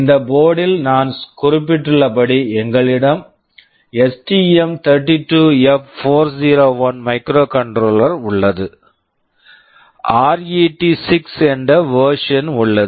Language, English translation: Tamil, In this board as I mentioned we have STM32F401 microcontroller, there is a version RET6